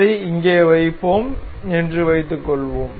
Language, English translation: Tamil, Let us suppose we will place it here